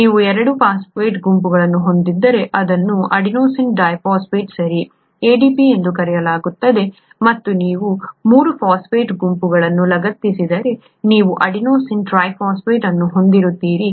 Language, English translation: Kannada, If you have 2 phosphate groups then this is called adenosine diphosphate, adenosine diphosphate, okay, ADP and if you have 3 phosphate groups attached you have adenosine triphosphate